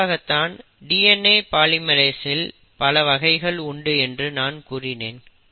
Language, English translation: Tamil, So basically this is a requirement of a DNA polymerase